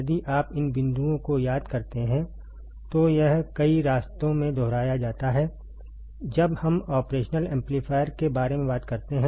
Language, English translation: Hindi, If you remember these points it has these are repeated in several paths when we talk about the operational amplifier ok